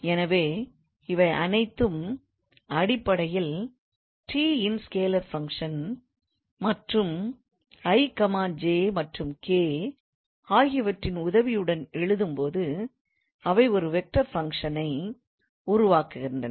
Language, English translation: Tamil, So all of them are basically a scalar function of t and while writing with the help of ij and k they constitute a vector function